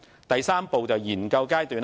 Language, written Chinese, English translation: Cantonese, 第三步為研究階段。, The third step is the research stage